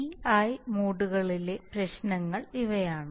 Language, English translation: Malayalam, That is these problems with d and i modes